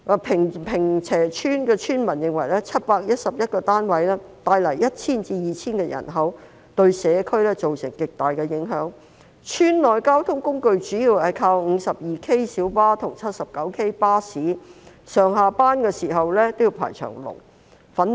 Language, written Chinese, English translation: Cantonese, 坪輋村村民認為711個單位會帶來 1,000 至 2,000 人口，對社區造成極大影響，村內交通工具主要靠 52K 小巴和 79K 巴士，上下班時間也要排長龍。, According to the villagers of Ping Che Village 711 housing units will bring an additional population of 1 000 to 2 000 and this will have a huge impact on the community . In terms of public transport villagers mainly rely on minibus No . 52K and bus No